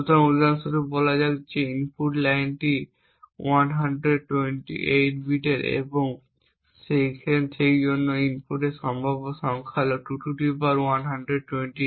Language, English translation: Bengali, So, let us say for example the input line is of 128 bits and therefore the possible number of inputs is 2^128